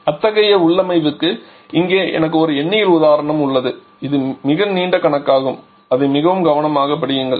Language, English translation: Tamil, Here I have a numerical example for such a configuration it is a very long problem just read it very carefully let me go through it quickly